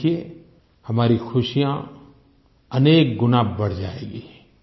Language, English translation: Hindi, You will see for yourselves that our joy will increase manifold